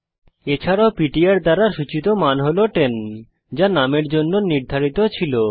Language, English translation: Bengali, Also the value pointed by ptr is 10 which was assigned to num